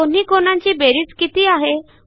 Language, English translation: Marathi, What is the sum of about two angles